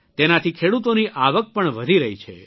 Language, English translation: Gujarati, This is also increasingthe income of farmers